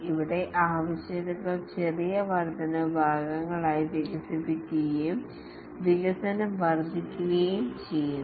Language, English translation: Malayalam, Here the requirements are decomposed into small incremental parts and development proceeds incrementally